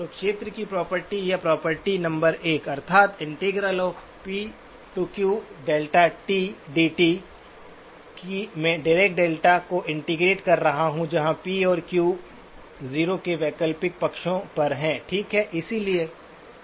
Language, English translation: Hindi, So the area property or the property number 1 ; if I integrate p to q delta of tau d tau, that is I integrate the Dirac delta where p and q are on alternate sides of 0, of the origin, okay